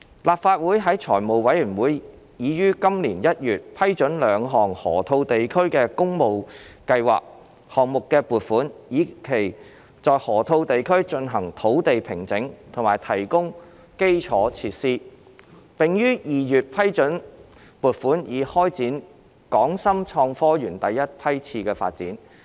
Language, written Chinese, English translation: Cantonese, 立法會財務委員會已於今年1月批准兩項河套地區的工務計劃項目的撥款，以期在河套地區進行土地平整及提供基礎設施，並於2月批准撥款以開展港深創科園第一批次發展。, In January this year the Finance Committee of the Legislative Council approved the funding for two works projects to carry out site formation and infrastructure works for the Loop development . In February it approved the funding for commencing Batch 1 development of HSITP